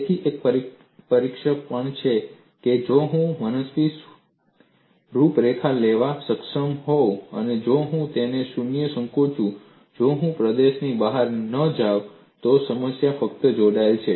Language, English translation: Gujarati, So, one of the tests is, if I am able to take an arbitrary contour and if I shrink it 0, if I do not go out of the region, then that problem is simply connected; otherwise, the domain is multiply connected